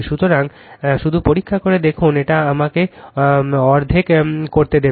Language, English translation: Bengali, So, just check just check it will let me let me make it half right